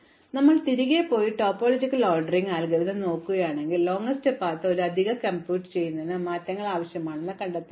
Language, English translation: Malayalam, So, if you go back and look at the topological ordering algorithm, you will find that the same changes are required to make a